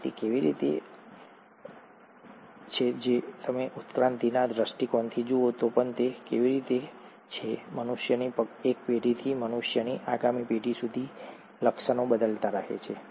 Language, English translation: Gujarati, And how is it, even if you look at from the evolution perspective, how is it from one generation of humans, to the next generation of humans, the features are changing